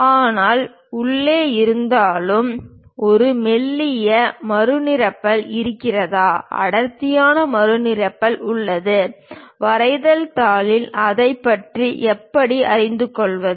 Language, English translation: Tamil, But whether inside, a thin refill is present, thick refill is present; how to know about that on the drawing sheet